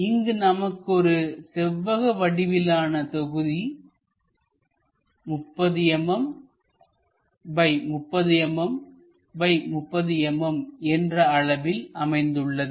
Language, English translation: Tamil, So, here we have a block, a rectangular block of 30 mm by 30 mm by 30 mm